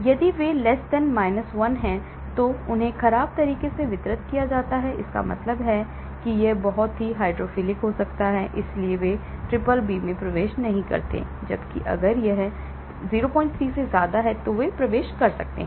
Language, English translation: Hindi, If they are < 1, they are poorly distributed that means < 1 means, it could be very hydrophilic right, so they do not enter the BBB , whereas if it is > 0